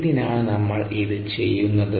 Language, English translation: Malayalam, why are we doing this